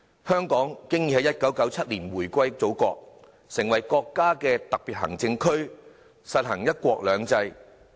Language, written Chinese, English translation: Cantonese, 香港已經在1997年回歸祖國，成為國家的特別行政區，實行"一國兩制"。, Hong Kong returned to the Motherland in 1997 and has since become a special administrative region of the country and implemented one country two systems